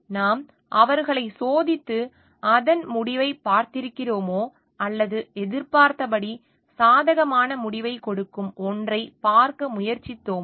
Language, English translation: Tamil, Have we tested for them and have you seen the outcome or we have tried to just look into something which gives us the favourable result as expected